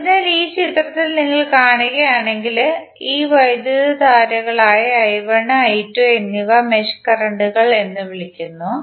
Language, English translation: Malayalam, So if you see in this figure, these currents I1 and I2 are called as mesh currents